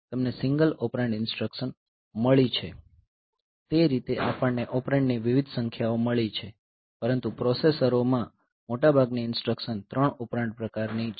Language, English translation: Gujarati, So, you have got single operand instruction, that way we have got different number of operands, but in ARM processor so, most of the instruction they are they are 3 operand in nature